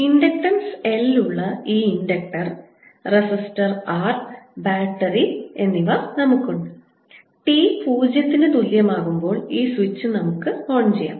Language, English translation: Malayalam, we have this inductor with inductance l, a resistance r and a battery, and let's turn this switch on at t equal to zero